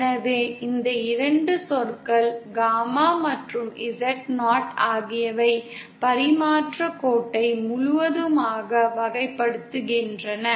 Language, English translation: Tamil, So we will see that these 2 terms, gamma and Z0, they completely characterise the transmission line